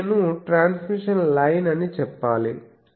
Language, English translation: Telugu, This will I should say the transmission line